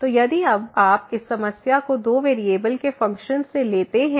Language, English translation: Hindi, So, here first let me introduce you the Functions of Two Variables